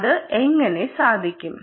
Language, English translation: Malayalam, and how is that possible